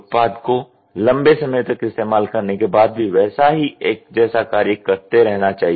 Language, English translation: Hindi, The product should perform the same task after a long period of time